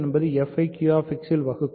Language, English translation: Tamil, We are given that f divides g in Q X